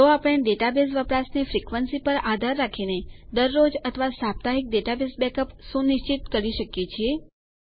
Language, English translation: Gujarati, So we can schedule daily or weekly backups, depending on the frequency of the database usage